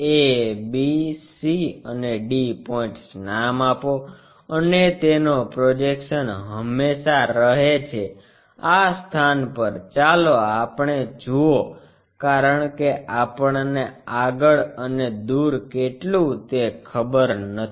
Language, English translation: Gujarati, Name a, b, c, and d points, and its projection always be goes to perhaps this location let us call because we do not know in front and away